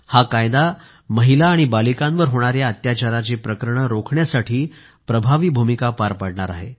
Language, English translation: Marathi, This Act will play an effective role in curbing crimes against women and girls